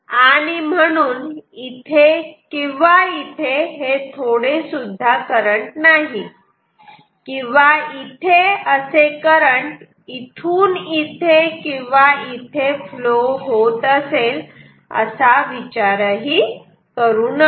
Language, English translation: Marathi, So, there is no therefore, no current at all here or here or do not think that there is some current flowing like this; from here to here or here to here not at all